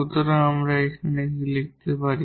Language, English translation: Bengali, So, what we can write down now